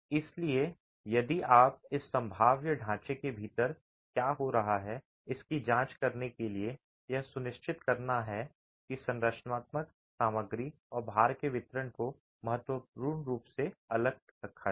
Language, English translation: Hindi, So, if you were to examine what's happening within this probabilistic framework, the idea is to ensure that the resistances of the structural material and the distribution of the loads are significantly kept apart